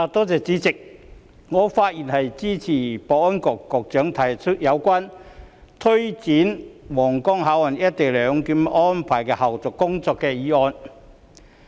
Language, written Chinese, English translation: Cantonese, 主席，我發言支持保安局局長提出有關推展皇崗口岸「一地兩檢」安排的後續工作的議案。, President I rise to speak in support of the motion proposed by the Secretary for Security on taking forward the follow - up tasks of implementing co - location arrangement at the Huanggang Port